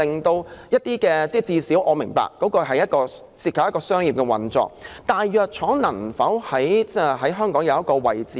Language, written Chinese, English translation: Cantonese, 我也明白，當中會涉及商業運作，但藥廠能否在香港分擔一個角色呢？, I do understand that commercial operations are involved in the process but can the pharmaceutical companies also play their part for Hong Kong?